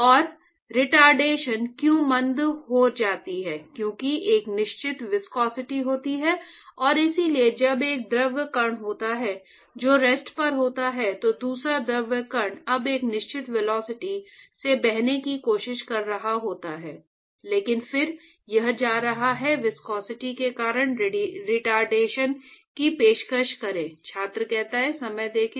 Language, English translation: Hindi, And in fact, the retardation why does it retard because there is a definite viscosity and so, you when there is one fluid particle which is at rest, the other fluid particle is now trying to flow at a certain velocity but then it is going to offer a retardation because of the viscosity right so